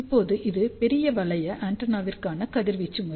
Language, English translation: Tamil, Now, this is the radiation pattern for large loop antenna